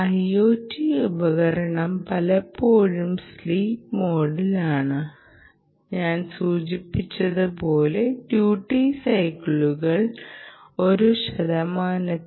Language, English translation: Malayalam, the i o t device often is in sleep mode and, as i mentioned, the duty cycles are less than one percent